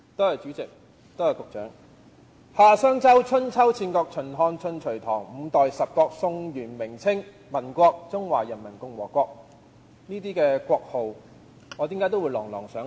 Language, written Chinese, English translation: Cantonese, 夏、商、周、春秋、戰國、秦、漢、晉、隋、唐、五代十國、宋、元、明、清、民國、中華人民共和國，為何我能夠把這些國號念得朗朗上口？, The following is a list of major Chinese dynasties in chronological order the Xia Shang Zhou Dynasties the Spring and Autumn and Warring States Periods the Qin Han Jin Sui Tang Five Dynasties and Ten States Song Yuan Ming and Qing Dynasties Republic of China and Peoples Republic of China . How come I can recite the entire list from memory?